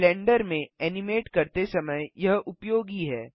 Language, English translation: Hindi, It is useful when animating in Blender